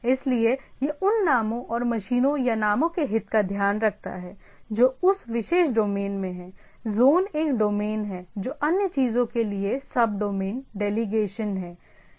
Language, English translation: Hindi, So, it takes care of the interset of name and machines or names versus IP address that are within that particular domain; a zone is a domain minus the sub domain delegation to the other things